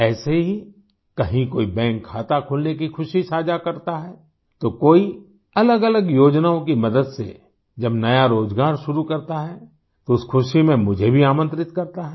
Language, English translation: Hindi, Similarly, someone shares the joy of opening a bank account, someone starts a new employment with the help of different schemes, then they also invite me in sharing that happiness